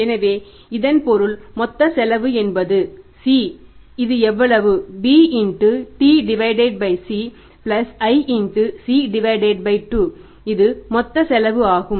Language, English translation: Tamil, So total cost can be found out that is a total cost of C will be equal to b into t by C plus I into C by 2